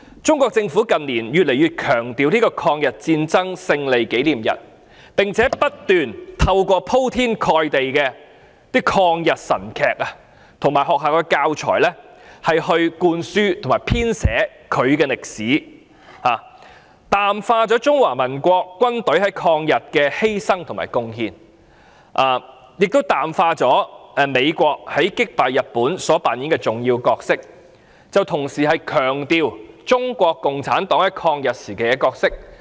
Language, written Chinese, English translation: Cantonese, 中國政府近年越來越強調抗日戰爭勝利紀念日，並且不斷透過鋪天蓋地的抗日神劇及學校教材來灌輸其編寫的歷史，淡化中華民國軍隊在抗日的犧牲和貢獻，淡化美國在擊敗日本所扮演的重要角色，同時強調中國共產黨在抗日時期的角色。, In recent years the Chinese Government has increasingly emphasized the Victory Day of the Chinese Peoples War of Resistance against Japanese Aggression . Through the overwhelming anti - Japanese dramas and teaching materials it tries to instil people with the history as it has presented playing down the sacrifice and contribution of the ROC army in the War of Resistance against Japanese Aggression as well as the important role played by the United States in defeating Japan . Furthermore it emphasized the role of the Chinese Communist Party during the anti - Japanese period